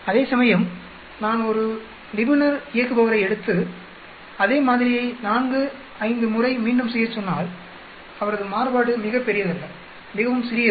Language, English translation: Tamil, Whereas, I can take an export operator who repeats the same sample 4,5 times his variance is not very large, it is very, very small